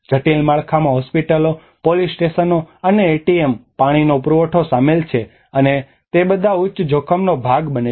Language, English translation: Gujarati, Critical infrastructure includes hospitals, police stations, and ATMs, water supply and they are all subjected to the high risk